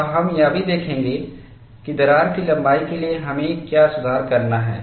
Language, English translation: Hindi, And we will also look at what is a correction that we have to do for crack lengths